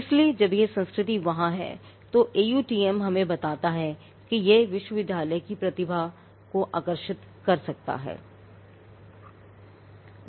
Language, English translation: Hindi, So, when that culture is there AUTM tells us that it could attract better talent to the university